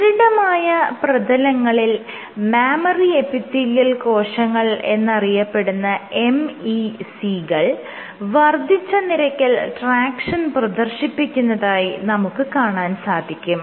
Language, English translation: Malayalam, What they also found was on stiff surfaces these MEC’s memory epithelial cells exhibited increased tractions